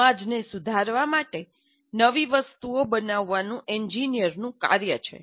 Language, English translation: Gujarati, It is an engineer's job to create new things to improve society